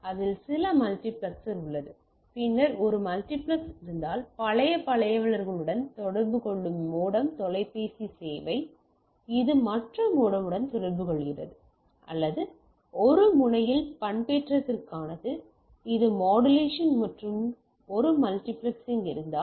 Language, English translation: Tamil, So, it has some multiplexer, then if I have a multiplex a modem which communicate to the plain old telephone service, which in turns communicate to other modem to or this is for modulation one end, this is demodulation and then if there is a multiplexing